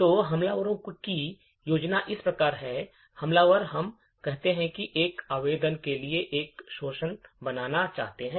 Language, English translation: Hindi, So, the attackers plan is as follows, the attacker, let us say wants to create an exploit for a particular application